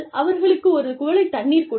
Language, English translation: Tamil, Offer them, a glass of water